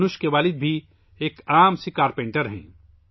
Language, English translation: Urdu, Dhanush's father is a carpenter in Chennai